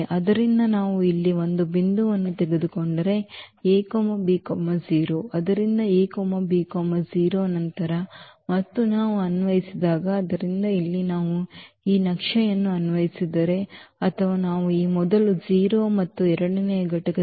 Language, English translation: Kannada, So, if we take a point here with a and b 0, so, a and b 0 then and when we apply the; so, the point is here that if we apply this map where or to any element where we have taken this first 0 and the second component 0